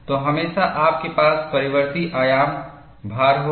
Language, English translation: Hindi, So, invariably, you will have variable amplitude loading